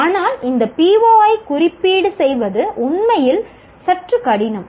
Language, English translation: Tamil, But to address this PO is really somewhat difficult